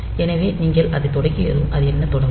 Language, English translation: Tamil, So, once you start it, so it will start counting up